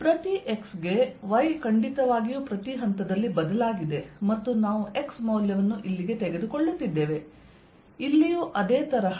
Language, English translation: Kannada, right, for each x, y has definitely changed at each point and we are taking the x value to be out here